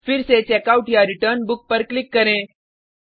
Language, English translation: Hindi, Again click on Checkout/Return Book